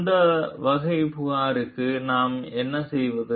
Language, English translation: Tamil, So, what do we do about so that type of complaint